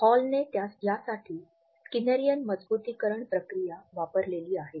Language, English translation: Marathi, The world which Hall has used for it is the Skinnerian reinforcement procedure